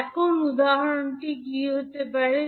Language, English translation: Bengali, Now, what can be the example